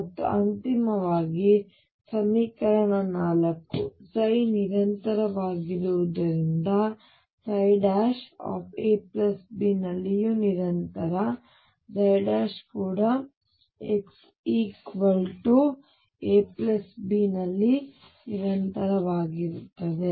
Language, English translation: Kannada, And finally, equation number 4, since psi is continuous, psi prime is also continuous at a plus b, psi prime is also continuous at x equals a plus b